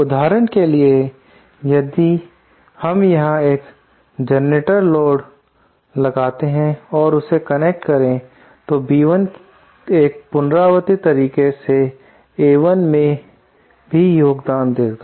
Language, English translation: Hindi, For example, if we connect a, there is a generator load present here, then B1 will also contribute to A1 in a recursive manner